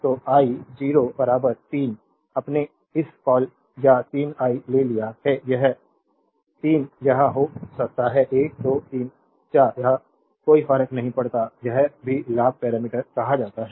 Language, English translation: Hindi, So, i 0 equal 3 your what you call this 3 i have taken 3 it may be 1 2 3 4 it does not matter this is also called gain parameter